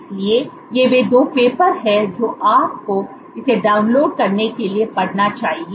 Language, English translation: Hindi, So, these are the 2 papers you must read you can download it